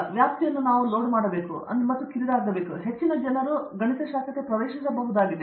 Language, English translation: Kannada, We have to load or narrow down this scope, so that it should be accessible to many people